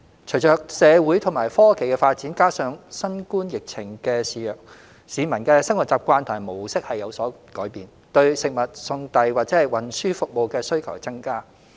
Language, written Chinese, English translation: Cantonese, 隨着社會和科技發展，加上新冠疫情肆虐，市民的生活習慣和模式有所改變，對食物送遞或運輸服務的需求增加。, The development of society and technology coupled with the ravages of the COVID - 19 pandemic has changed peoples habits and their modes of living . The demand for takeaway delivery or transport services has increased